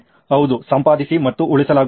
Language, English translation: Kannada, Yes, edit and saving